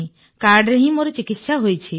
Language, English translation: Odia, I have been treated by the card itself